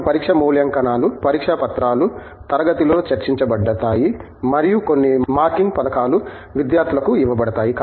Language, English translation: Telugu, Where we have test evaluations the exam papers are discussed in class and some marking schemes are given to students